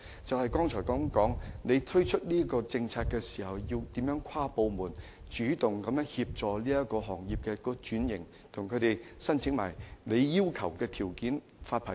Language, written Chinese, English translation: Cantonese, 正如我剛才所說，政府推出有關政策時要協調各部門主動協助行業轉型及滿足政府所定的發牌條件。, As I said a moment ago when implementing the relevant policies the Government should coordinate the efforts of various departments in actively assisting the industry in restructuring and meeting the licensing conditions prescribed by the Government